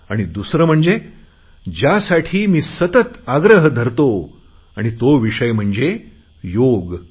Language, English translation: Marathi, And the second thing that I constantly urge you to do is Yog